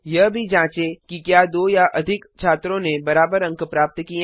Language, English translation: Hindi, Check also if two or more students have scored equal marks